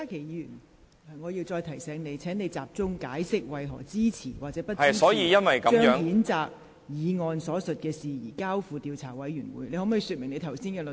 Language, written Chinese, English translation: Cantonese, 郭家麒議員，我再提醒你，請集中解釋你為何支持或不支持將譴責議案所述的事宜，交付調查委員會處理。, Dr KWOK Ka - ki let me remind you once again to focus on explaining why you support or do not support referring the matter stated in the censure motion to an investigation committee